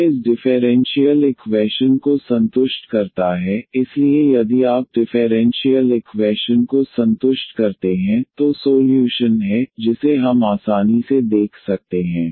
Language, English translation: Hindi, This satisfies this differential equation, so if you satisfies the differential equation, then is solution so which we can easily see